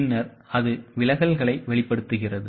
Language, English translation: Tamil, Then it reveals the deviations